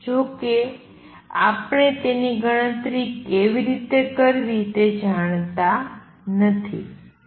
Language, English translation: Gujarati, However, we do not know how to calculate it